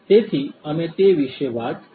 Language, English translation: Gujarati, So, we have talked about that